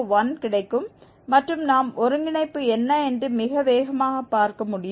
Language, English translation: Tamil, 201 and that is what we can see the convergence is very fast